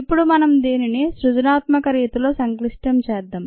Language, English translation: Telugu, now let us complicate this in a creative fashion